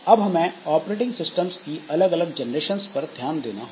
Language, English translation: Hindi, Now there are generations of operating systems